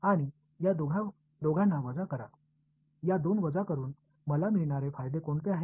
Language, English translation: Marathi, And subtract these two, by subtracting these two is there any advantages that I get